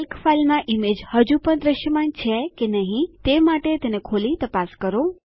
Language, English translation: Gujarati, Open and check if the image is still visible in the Calc file